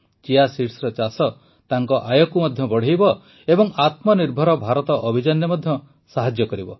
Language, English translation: Odia, Cultivation of Chia seeds will also increase his income and will help in the selfreliant India campaign too